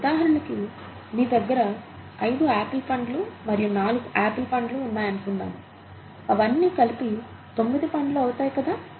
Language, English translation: Telugu, For example, if you have five apples and four apples, together they make nine apples, right